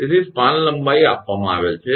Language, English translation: Gujarati, So, span length is given